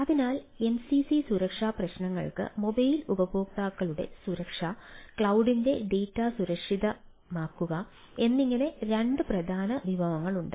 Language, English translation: Malayalam, so mcc security issues have two major categories, like security of mobile users and securing data of ah cloud